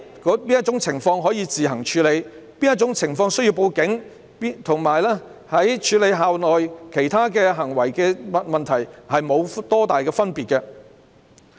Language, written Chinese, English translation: Cantonese, 在哪種情況可以自行處理，在哪種情況需要報警，則與處理校內其他行為問題沒有大分別。, As regards under which circumstances a case should be handled by the school or reported to the Police it is more or less the same as the way of handling other behavioural issues on campus